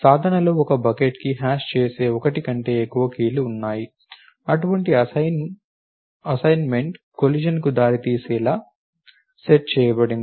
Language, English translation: Telugu, In practice; however, there are many more than 1 key that will hash to the same bucket such an assignment is set to result in a collision